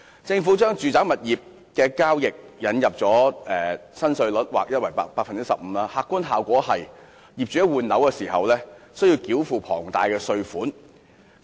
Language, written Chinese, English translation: Cantonese, 政府為住宅物業交易引入 15% 的劃一從價印花稅新稅率，客觀效果是業主在換樓時需要繳付龐大的稅款。, Owing to the Governments introduction of an ad valorem stamp duty at a flat rate of 15 % chargeable on residential property transactions the objective effect is that buyers need to pay a large amount of tax when replacing their properties